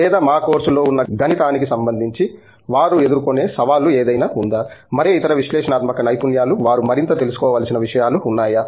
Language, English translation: Telugu, or do you feel they are may be, is there any challenge they face let’s say with respect to the math involved in our courses, any other analytical skills are there things they need to be more aware of